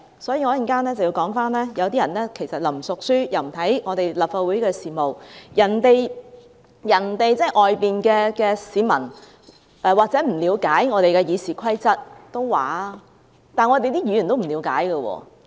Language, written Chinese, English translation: Cantonese, 所以，我稍後要說，有些人既不熟書，又不看立法會事務，外面的市民或許不了解《議事規則》，但連議員也不了解。, Hence what I am going to say is that some people do not familiarize themselves with the rules nor do they follow the Legislative Council matters . Members of the public outside may not understand the Rules of Procedure but I see that even Members in this Council do not understand either